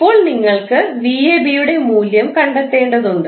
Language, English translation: Malayalam, Now, you need to find out the value of v ab